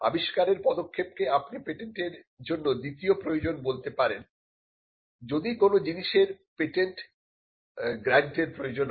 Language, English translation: Bengali, The inventive step requirement is the you can say it is the second requirement of patentability for something to be granted a patent